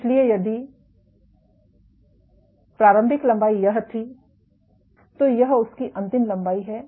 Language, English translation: Hindi, So, if this was the initial length, this is some other final length